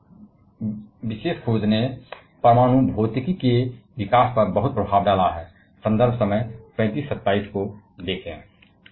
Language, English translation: Hindi, And this particularly discovery has far reaching implication on a development of nuclear physics